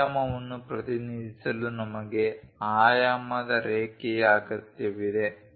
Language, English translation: Kannada, To represent dimension, we require a dimension line